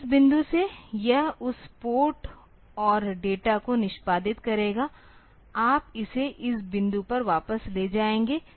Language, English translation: Hindi, So, from this point onwards it will execute that port and data, you will take it back to this point